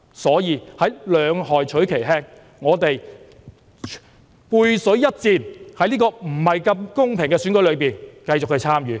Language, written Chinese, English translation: Cantonese, 所以，兩害取其輕，我們背水一戰，在這個不太公平的選舉中繼續參與。, Hence choosing the lesser of two evils with our back against the wall we will continue to run in this less than fair election